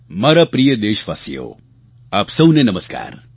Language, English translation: Gujarati, My dear countrymen, Namaskar to all of you